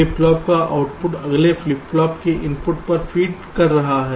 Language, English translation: Hindi, the output of a flip flop is fed to the clock input of the next flip flop